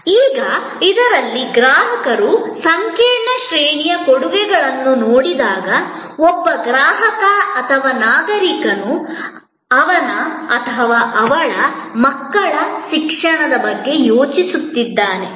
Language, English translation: Kannada, Now, in this, when consumers look at a complex range of offering, when a customer is or a citizen is thinking about, say education for his or her children